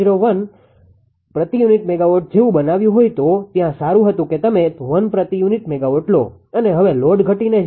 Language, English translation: Gujarati, 01 per ah unit megawatt, it was there ah better you take 1 per unit megawatt it 1 per unit megawatt and now till load has decreased to 0